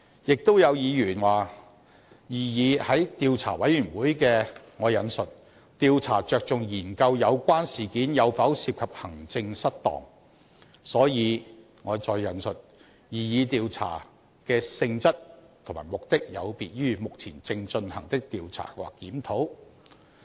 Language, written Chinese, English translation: Cantonese, 亦有議員說，擬議的專責委員會的"調查着重研究有關事件有否涉及行政失當"，所以"擬議調查的性質及目的有別於目前正進行的調查或檢討"。, Some Members say that since the proposed select committee has its investigation focused on the study of whether maladministration is involved in the incident the nature and objective of the proposed investigation are thus different from those of the ongoing investigations and reviews